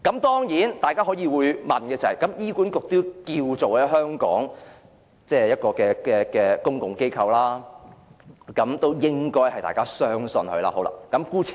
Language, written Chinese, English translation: Cantonese, 大家當然會說道，醫管局在香港亦是公共機構，大家應該相信醫管局。, Members will certainly argue that HA is also a public body in Hong Kong and we should have faith in it